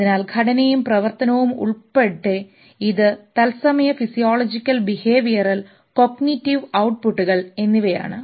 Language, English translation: Malayalam, Fun, structure and function including its real time physiological behavioral and cognitive output